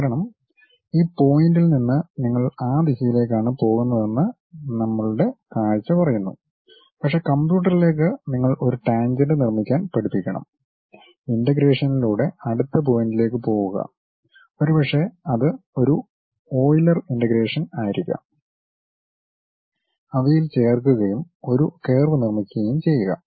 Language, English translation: Malayalam, That is because our our visual says that from this point you go in that direction, but to the computer you have to teach construct a tangent, go to next point by integration maybe it might be a Euler integration, go join those things and construct a curve